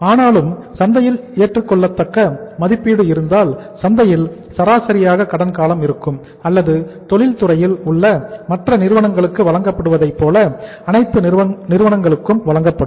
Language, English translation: Tamil, But if the company has acceptable rating in the market then the credit period can be as per the market uh say average or the as it is being given to the other firms in the industry it will be given to all the firms